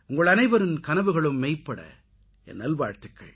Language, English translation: Tamil, May all your dreams come true, my best wishes to you